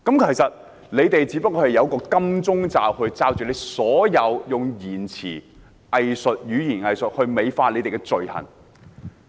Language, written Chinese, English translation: Cantonese, 其實，他們只是用"金鐘罩"來掩飾、用語言"偽術"來美化自己的罪行。, In fact they are just covering themselves up under a shielding case and beautifying their crimes with hypocritical rhetoric